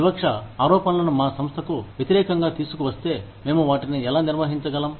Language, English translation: Telugu, How do we manage discrimination charges, if they are brought against, our organization